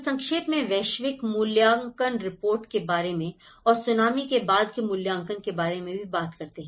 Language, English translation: Hindi, So, that is briefly about the Global Assessment Reports and also talk about the post Tsunami assessment